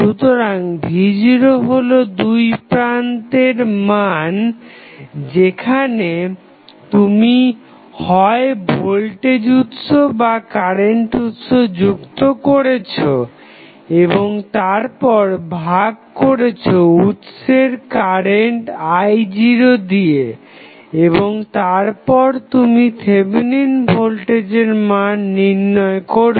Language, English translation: Bengali, So, V naught is the value which is across the terminal where you have connected either the voltage source or current source and then divided by current supplied by the source that is I naught and now, after that you will find the corresponding Thevenin voltage